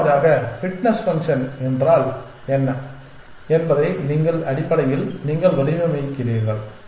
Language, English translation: Tamil, And secondly how do you what is the fitness function that you devise for essentially